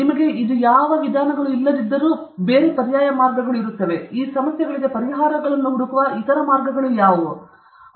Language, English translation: Kannada, Even if you don’t have this, what are the other alternate ways, what are the other ways of seeking solutions to these problems